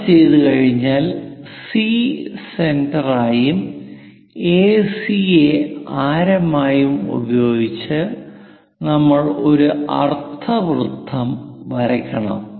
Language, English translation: Malayalam, Once that is done C as centre and AC as radius we have to draw a semicircle